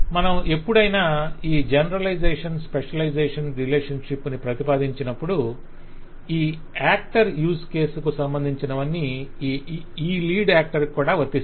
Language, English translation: Telugu, Mind you, whenever we put this generalization, specialization, relationship that anything that this actor will be associated within the use case, this actor would be able to perform that